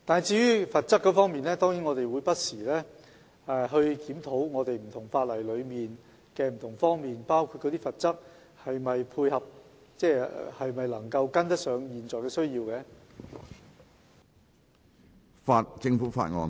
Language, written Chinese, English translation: Cantonese, 至於罰則方面，我們當然會不時檢討不同法例的各個方面，包括罰則是否能跟上現時的需要。, With regard to the penalty level we will of course review the various aspects of different laws including whether the penalty level is compatible with the prevailing need